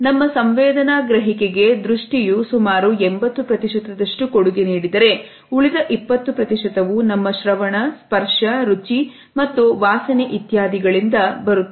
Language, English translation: Kannada, Vision accounts for around 80 percent of our sensory perception, the remaining 20 percent comes from our combined census of hearing, touching, tasting and smelling etcetera